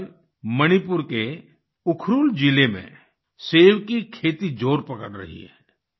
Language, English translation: Hindi, Nowadays apple farming is picking up fast in the Ukhrul district of Manipur